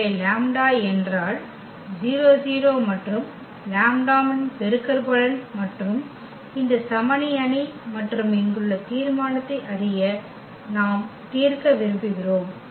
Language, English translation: Tamil, So, lambda I means the lambda 0 0 and the lambda that is the product of lambda and this identity matrix and this we want to solve know the determinant here